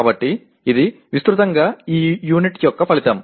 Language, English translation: Telugu, So this is broadly the outcome of this unit